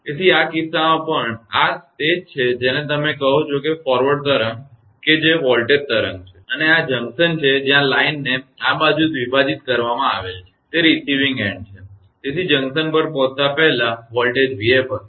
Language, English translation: Gujarati, So, in this case also that this is your what you call that forward wave that is voltage wave and this will this is the junction where line is bifurcated this side is receiving end, so before arrival at the junction voltage was v f right